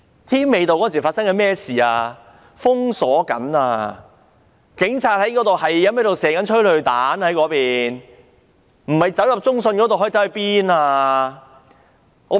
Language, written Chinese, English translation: Cantonese, 添美道當時被封鎖了，警察正不停發射催淚彈，人們不入中信大廈可以去哪裏呢？, Tim Mei Avenue was blockaded and the Police were firing tear gas canisters incessantly . Where else could the people go if they did not go into CITIC Tower?